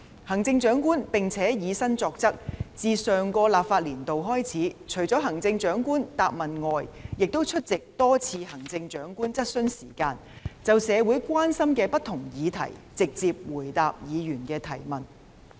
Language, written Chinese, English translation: Cantonese, 行政長官並且以身作則，自上個立法年度開始，除行政長官答問會外，多次出席行政長官質詢時間，就社會關心的不同議題直接回答議員的質詢。, The Chief Executive has also set an example . Since the last legislative year she has been attending numerous Chief Executives Question Times in addition to the Chief Executives Question and Answer QA Sessions to directly answered Members questions on different issues of concern to the community